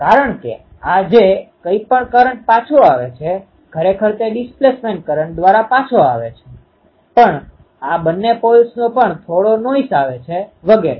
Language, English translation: Gujarati, Because this whatever current is returning because through the displacement current actually this current returning, but also both of this poles they are also getting some noise etcetera